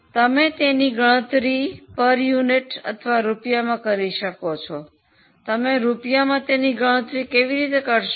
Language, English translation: Gujarati, Okay, so you can either calculate it in terms of units or you can also calculate it as rupees